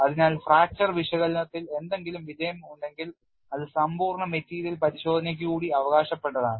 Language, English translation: Malayalam, So, any success in fracture analysis goes with exhaustive material testing